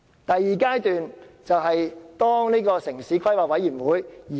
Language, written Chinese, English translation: Cantonese, 第二階段涉及城市規劃委員會。, The second stage involves the Town Planning Board TPB a statutory body